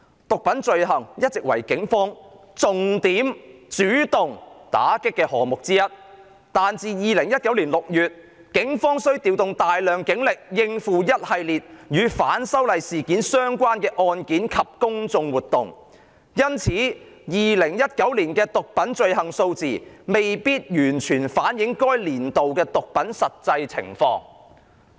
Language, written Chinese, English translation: Cantonese, "毒品罪行一直為警方重點主動打擊的項目之一，但自2019年6月，警方需調動大量警力應付一系列與'反修例'事件相關的案件及公眾活動，因此2019年的毒品罪行數字未必完全反映該年度的毒品實際情況。, Drug offences have been one of the major offences the Police have been fighting against by way of proactive actions . However since large amount of police resources had been redeployed to the numerous anti - extradition amendment bill related cases and public order events since June 2019 the number of drug cases registered in 2019 might not reflect the actual drug situation of the year